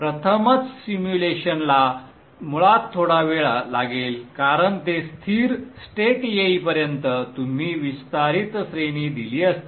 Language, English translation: Marathi, The first time simulation will take quite some time basically because you would have given an extended range till it reaches steady state